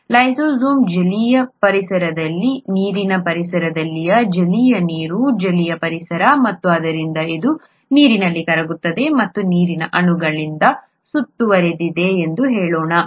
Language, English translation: Kannada, This lysozyme is in an aqueous environment, water environment, aqueous is water, aqueous environment and it therefore it is a let us say, dissolved in water and which means that is surrounded by water molecules